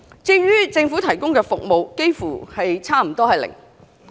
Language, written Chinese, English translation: Cantonese, 至於政府提供的服務，幾乎是零。, Our Government almost has zero services for rare disease patients